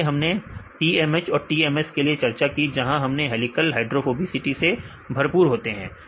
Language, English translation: Hindi, Earlier we discussed in the case of TMH and TMS right helical proteins are enriched with the hydrophobicity